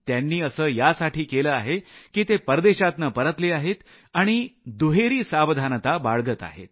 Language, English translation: Marathi, They did so because they had travelled abroad recently and were being doubly cautious